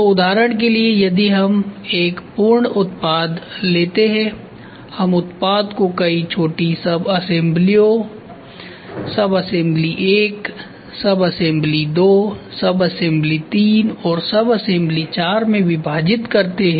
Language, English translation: Hindi, So, for example, we take a complete product, we divide the product into several small subassemblies sub assembly 1 sub assembly 2 assembly 3 and assembly 4